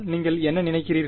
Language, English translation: Tamil, What do you think